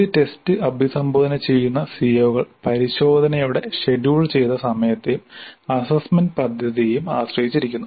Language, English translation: Malayalam, So, the COs addressed by a test depend upon the scheduled time of the test and the assessment plan